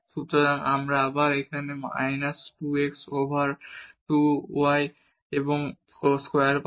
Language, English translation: Bengali, So, this will be minus 2 over x plus y cube